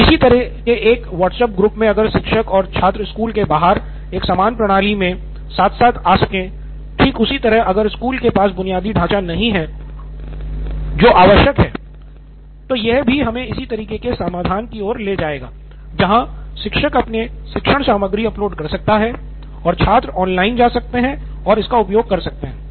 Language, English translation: Hindi, So like a similar kind of WhatsApp group if teachers and students can come up with a common system outside the school, just in case if school does not have infrastructure which is required, so then also it leads us to a similar kind of a solution where teacher can put up her content and students can go online, access